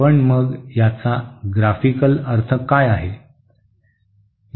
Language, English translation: Marathi, But then what does it mean graphically